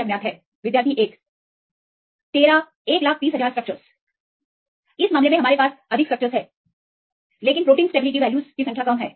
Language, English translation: Hindi, 130000; in this case we have more structures, but the stability values are known for less number of proteins